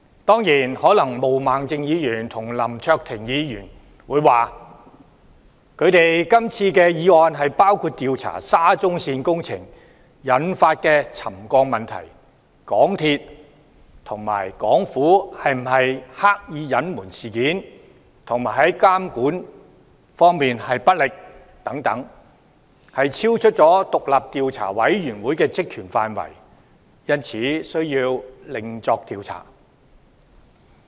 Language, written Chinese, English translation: Cantonese, 當然，毛孟靜議員與林卓廷議員可能會說，他們今次的議案包括調查沙中線工程引起的沉降問題、港鐵公司和港府有否刻意隱瞞事件和監管不力等，超出獨立調查委員會的職權範圍，因此需要另作調查。, I bet Ms Claudia MO and Mr LAM Cheuk - ting might claim that their motions cover the investigation into settlement problems caused by the SCL Project as well as whether MTRCL and the Hong Kong Government have deliberately concealed the incidents and if there has been dereliction of their monitoring duties etc . They would insist that a separate investigation is necessary as all these are beyond the Commissions terms of reference